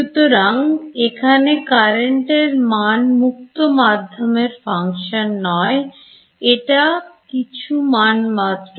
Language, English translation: Bengali, So, the current over it is not a function of space is just some value